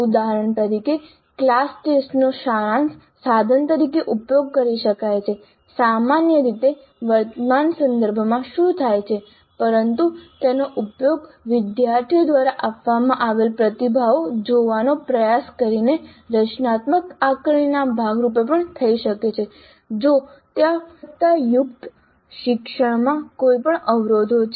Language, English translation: Gujarati, For example, a class test could be used as a summative instrument which is what happens typically in current context but it also could be used as a part of the formative assessment by trying to look at the responses given by the students to determine if there are any impediments to quality learning